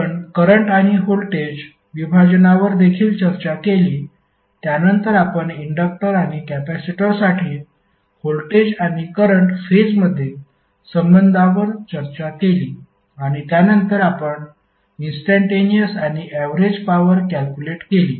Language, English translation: Marathi, We also discussed current and voltage division then we discussed voltage and current phase relationships for inductor and capacitor and then we studied the instantaneous and average power calculation